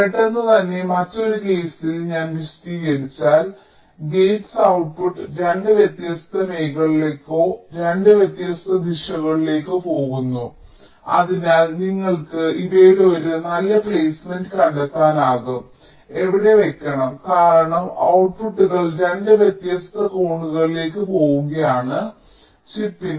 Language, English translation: Malayalam, suddenly, if in the other case i just explained, that will be gates output goes to two different regions or two different directions, so that you cannot find out a good placement of these gate, where to place it, because the outputs are going into two different corners of the chip